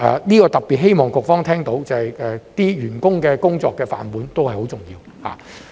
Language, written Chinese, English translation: Cantonese, 這點特別希望局方聽到，就是員工的工作飯碗都是很重要的。, I earnestly hope that the Bureau can hear my point that the job security of these workers is also very important